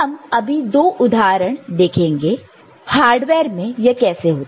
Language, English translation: Hindi, Now, we shall look at two examples how it happens in the hardware